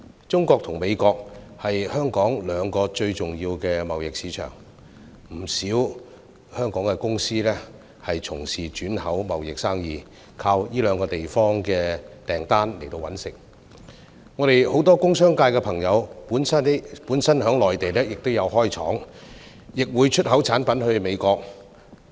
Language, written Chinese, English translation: Cantonese, 中國和美國是香港兩個最重要的貿易市場，不少香港公司從事轉口貿易生意，依靠這兩個地方的訂單謀生，很多工商界朋友本身在內地設廠，亦會出口產品到美國。, As China and the United States are two most important trade markets of Hong Kong many Hong Kong companies engaging in the re - export trade rely on the orders of these two places to earn a living . Many friends in the business and industrial sectors have set up factories in the Mainland and also export products to the United States